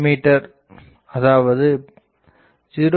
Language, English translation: Tamil, So, I can say 0